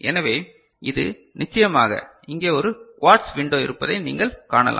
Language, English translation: Tamil, So, this is of course, you can see there is a quartz window over here